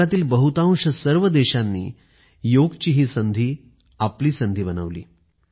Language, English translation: Marathi, Almost all the countries in the world made Yoga Day their own